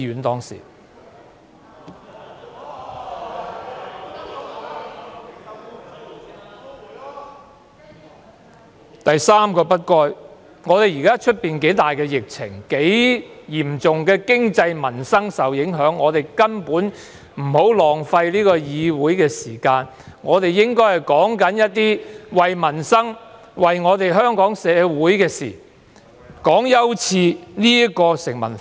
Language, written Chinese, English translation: Cantonese, 第三個"不該"，是現時外邊疫情嚴重，經濟民生大受影響，我們根本不應該浪費議會時間，而應討論關乎民生及香港社會的議題。, The third should not is that as the prevailing epidemic outside has turned so severe that it has come to pose serious impacts on the economy and peoples livelihood we simply should not waste the time of the legislature and should instead discuss issues pertaining to peoples livelihood and the Hong Kong community